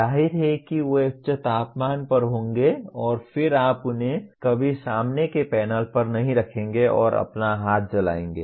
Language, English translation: Hindi, Obviously they will be at high temperature and then you never put them on the front panel and burn your hand